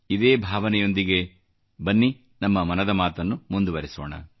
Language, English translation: Kannada, With this sentiment, come, let's take 'Mann Ki Baat' forward